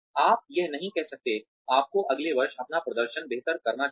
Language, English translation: Hindi, you cannot say, you should better your performance, next year